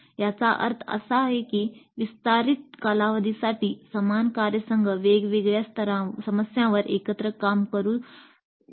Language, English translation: Marathi, That means for extended periods let the same teams work together on different problems